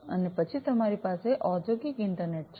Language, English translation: Gujarati, And then you have the industrial internet